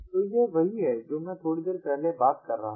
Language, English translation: Hindi, so this is what i was referring to just a short while back